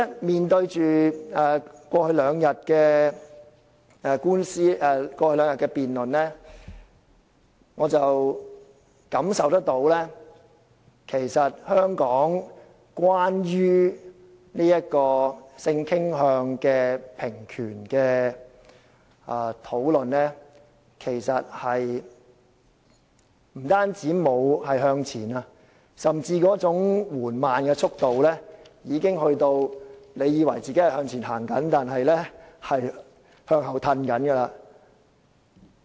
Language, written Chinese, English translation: Cantonese, 回顧過去兩天的辯論，我感受到香港對於性傾向的平權的討論，其實不但沒有向前，更甚的是，其速度之緩慢已達到令人以為自己向前走但其實是在向後退的地步。, Looking back on the debate in these two days I have the feeling that the discussion on equal rights for people with different sexual orientation in Hong Kong has not moved forward and worse still its progress has been so slow that things are actually going backward though they are thought to be moving ahead